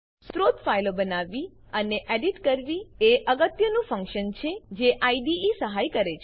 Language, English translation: Gujarati, Creating and editing source files is the most important function that the IDE serves